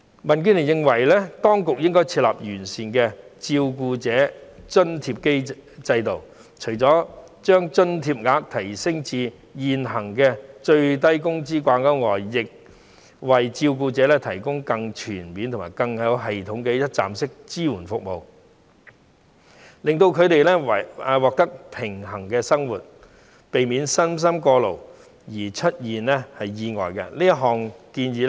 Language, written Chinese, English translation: Cantonese, 民建聯認為，當局應該設立完善的照顧者津貼制度，除了把津貼額提升至與現行最低工資水平掛鈎外，亦應為照顧者提供更全面及更有系統的一站式支援服務，令他們獲得平衡的生活，避免身心過勞而出現意外。, DAB thinks that the authorities should set up a comprehensive living allowance system for carers . Apart from raising the allowance level to meet the existing minimum wage level the authorities should also provide more holistic and systematic one - stop supporting services for carers so that they can enjoy a balanced lifestyle and avoid any accidents when they are burned out